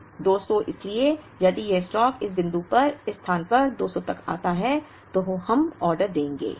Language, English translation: Hindi, So, if this stock comes to 200 so at this place at this point, we will place the order